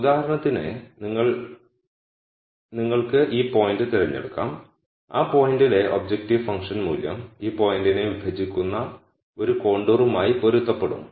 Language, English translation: Malayalam, So, for example, you could pick this point and the objective function value at that point would be corresponding to a contour which intersects this point